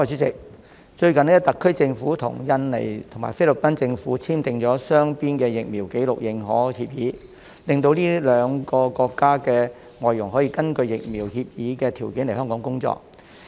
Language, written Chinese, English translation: Cantonese, 最近特區政府與印度尼西亞和菲律賓政府簽訂了雙邊的疫苗紀錄認可協議，令這兩個國家的外傭可以根據協議的條件來香港工作。, The SAR Government has recently signed bilateral vaccination record recognition agreements with the Governments of Indonesia and the Philippines allowing foreign domestic helpers from these two countries to come and work in Hong Kong under the terms of the agreements